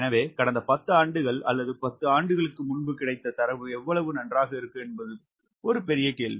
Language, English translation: Tamil, so how good will be those data, whatever available last ten years or ten years ago, is a big question